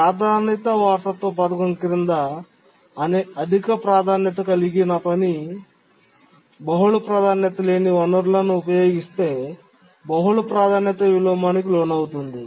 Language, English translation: Telugu, So a high priority task under the priority inheritance scheme can undergo multiple priority inversion if it uses multiple non preemptible resources